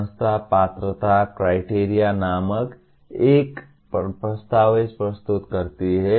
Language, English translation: Hindi, The institution submits a document called eligibility criteria